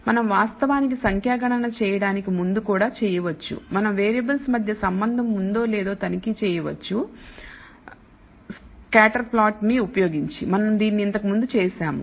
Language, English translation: Telugu, We can also before we actually do numerical computation, we can check whether there is an association between variables by using what is called the scatter plot, we have done this before